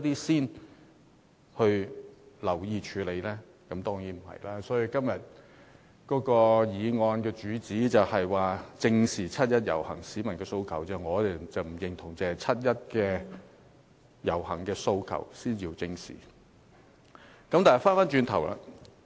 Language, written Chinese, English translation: Cantonese, 所以，對於今天議案的主旨，即"正視七一遊行市民的訴求"，我們並不認同只有七一遊行的訴求才應予以正視。, That is why as far as the theme of todays motion is concerned that is Facing up to the aspirations of the people participating in the 1 July march we do not agree that we should only face up to the aspirations raised during the 1 July marches